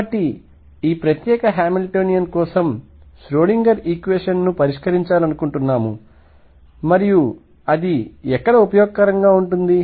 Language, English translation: Telugu, So, we want to solve the Schrödinger equation for this particular Hamiltonian and where is it useful